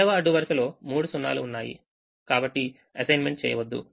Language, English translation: Telugu, the second row has three zeros, so don't make an assignment